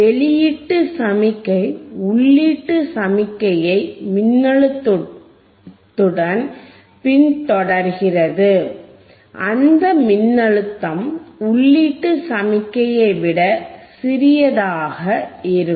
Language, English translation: Tamil, oOutput signal follows the input signal with a voltage which is smaller than the input signal